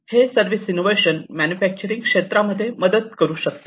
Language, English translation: Marathi, These service innovations, they can aid in manufacturing